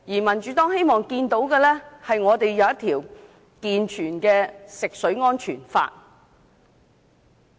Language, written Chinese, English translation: Cantonese, 民主黨希望香港訂立一套健全的食水安全法。, The Democratic Party hopes that Hong Kong will put in place a set of sound legislation on drinking water safety